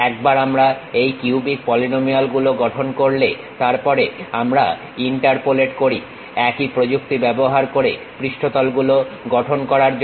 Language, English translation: Bengali, Once we construct these cubic polynomials, then we will interpolate apply the same technique to construct the surfaces